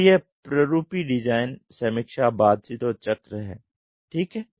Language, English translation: Hindi, So this is the typical design, review, interaction, cycle ok